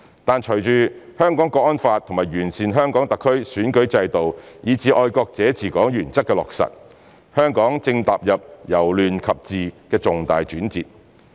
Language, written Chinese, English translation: Cantonese, 但隨着《香港國安法》和完善香港特區選舉制度以至"愛國者治港"原則的落實，香港正踏入由亂及治的重大轉折。, But following the implementation of the National Security Law improvement of HKSARs electoral system as well as manifesting the principle of patriots administering Hong Kong Hong Kong is taking a major turn from chaos to governance